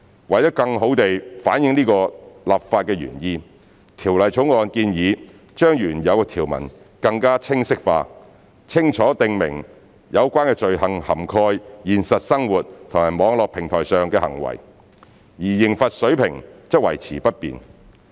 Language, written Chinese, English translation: Cantonese, 為了更好反映此立法原意，《條例草案》建議將原有條文更清晰化，清楚訂明有關罪行涵蓋現實生活和網絡平台上的行為，而刑罰水平則維持不變。, In order to better reflect this legislative intent the Bill proposes to make the original provisions clearer by clarifying that the concerned offences cover both real - life and online behaviour while the level of penalty remains unchanged